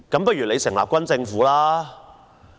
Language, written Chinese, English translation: Cantonese, 不如成立軍政府吧？, Why not form a military government?